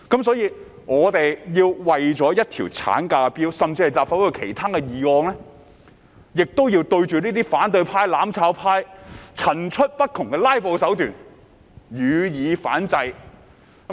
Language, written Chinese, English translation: Cantonese, 所以，我們為了一項產假法案，甚至立法會其他議案，也要對這些反對派、"攬炒派"層出不窮的"拉布"手段予以反制。, Therefore in order to secure a bill on maternity leave and even other bills introduced to the Legislative Council we must also counteract the ever - emerging new filibustering tricks of these opposition Members in the mutual destruction camp